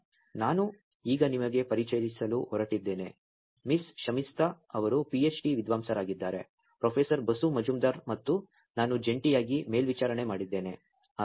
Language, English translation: Kannada, So, I am going to now introduce to you Miss Shamistha, who is a PhD scholar, jointly been supervised by Professor Basu Majumder and by myself